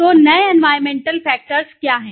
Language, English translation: Hindi, So, what are the new environmental factors